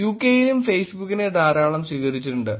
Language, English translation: Malayalam, In UK also there has been a lot of adoption of Facebook